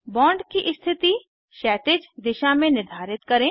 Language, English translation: Hindi, Orient the bond in horizontal direction